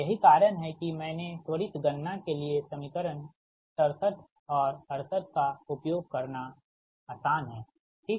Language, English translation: Hindi, thats why i have written for quick calculation it is easier to use sixty seven and equation sixty seven and sixty eight